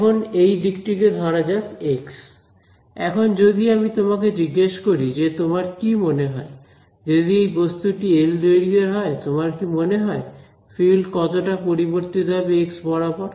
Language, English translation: Bengali, So, let us for example, let us take this direction to be x, so again very intuitively if I asked you that for an object of size L how much do you think that this rate of change of the field, along that coordinate x